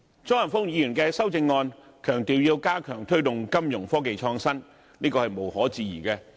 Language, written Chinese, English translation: Cantonese, 張華峰議員的修正案強調要加強推動金融科技創新，這是無可置疑的。, Mr Christopher CHEUNGs amendment emphasizes the need for stepping up the promotion of innovation in financial technology which is undoubtedly true